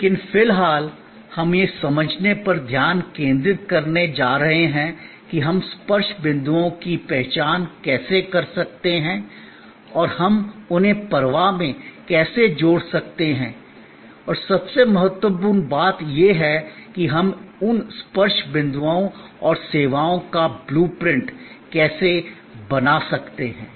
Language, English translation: Hindi, But, at the moment, we are going to focus on understanding that how we can identify the touch points and how we can link them in a flow and most importantly, how we can map or create a blue print of those touch points and services